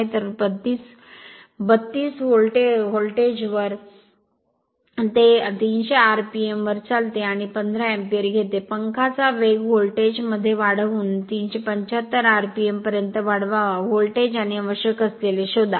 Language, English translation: Marathi, So, at 32 volt it runs at 300 rpm and takes 15 ampere, the speed of the fan is to be raised to 375 rpm by increasing the voltage, find the voltage and the current required right